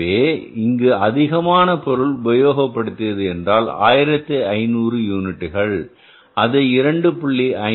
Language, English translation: Tamil, So, how much extra material we have used here is 1500 units and total multiplying that 1500 extra units used by 2